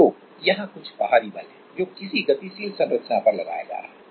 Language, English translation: Hindi, So, there is some external force which is applying on some moving structure